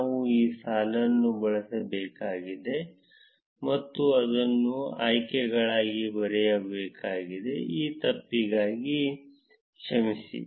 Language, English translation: Kannada, We need to change this line and write it as options, sorry for this mistake